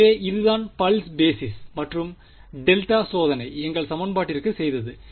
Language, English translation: Tamil, So, this is what pulse basis and delta testing has done to our equation